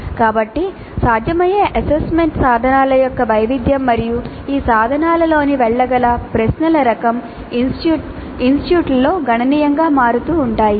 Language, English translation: Telugu, So the variation of the possible assessment instruments and the type of questions that can go into these instruments varies dramatically across the institutes